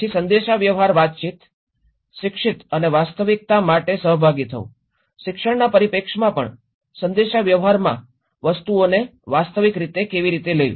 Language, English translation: Gujarati, Then the communication, communicate, educate and participate for the real so, even in the education perspective, in the communication, take things in a realistic way